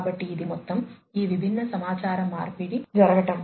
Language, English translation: Telugu, So, this is the overall how these different communications can happen